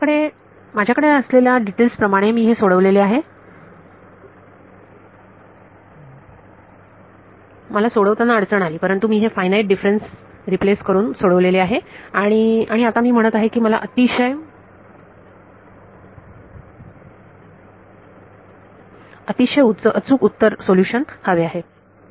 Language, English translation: Marathi, I have a problem I have solved this using the details we will see, but I have solved at using replacing these finite differences and now I say I want to more accurate solution